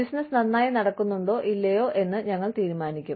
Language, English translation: Malayalam, You know, we decide, whether the business is running, well or not